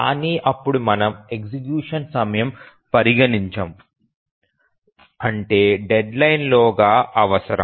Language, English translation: Telugu, But then we don't consider how much execution time is required over the deadline